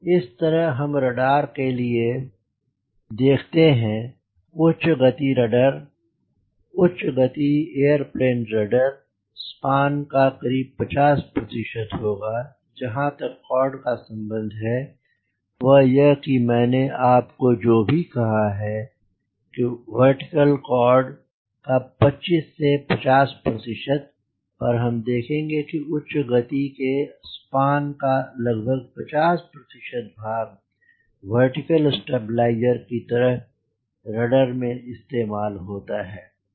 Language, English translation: Hindi, you see that for high speed rudder, high speed aeroplane rudder will be around this will be around fifty percent of the span and after the chord is concerned, that is whatever i have told you earlier, that twenty five to fifty percent of vertical tail chord, but for high speed, around fifty percent of that vertical span is used of a, of a, a vertical stabilizer, as a rudder in a rudder